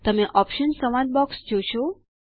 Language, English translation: Gujarati, You will see the Options dialog box